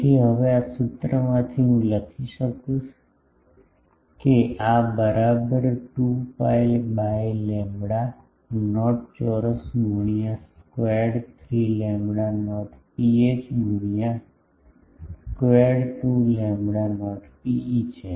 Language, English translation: Gujarati, So, from this formula now, I will be able to write that this is equal to 2 pi by lambda not s qure square root 3 rho not by 2 to 2 rho not by 1 ok